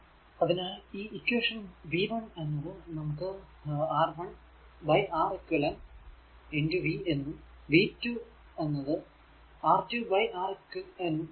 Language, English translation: Malayalam, So, this equation v 1 we can write R 1 upon Req equal to v and v 2 is equal to R 2 upon Req into v